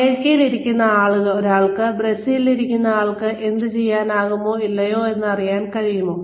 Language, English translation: Malayalam, Can a person sitting in the United States know, what a person sitting in Brazil, will be able to do or not